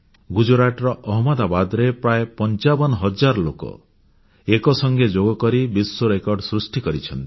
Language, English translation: Odia, In Ahmedabad in Gujarat, around 55 thousand people performed Yoga together and created a new world record